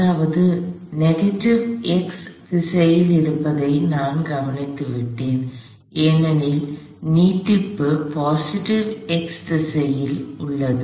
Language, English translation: Tamil, That means I have already taken care of the fact that is in the negative x direction, because the extension is in the positive x direction